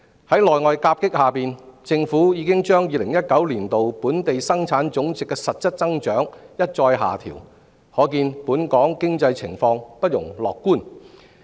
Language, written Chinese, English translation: Cantonese, 在內外夾擊下，政府已將2019年本地生產總值的實質增長一再下調，可見本港經濟情況不容樂觀。, In view of both internal and external challenges the Government has made repeated downward adjustments to its projections of the growth of Gross Domestic Product in real terms in 2019 which does not augur well for the economic conditions of Hong Kong